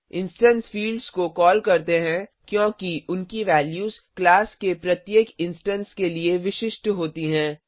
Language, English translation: Hindi, Instance fields are called so because their values are unique to each instance of a class